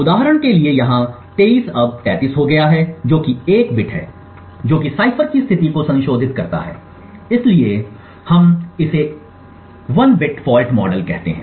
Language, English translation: Hindi, So for instance over here 23 has now become 33 that is 1 bit that has modify the state of the cipher so we call this as a bit fault model